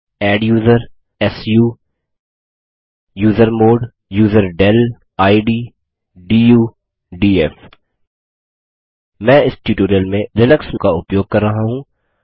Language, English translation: Hindi, adduser su usermod userdel id du df I am using Linux for this tutorial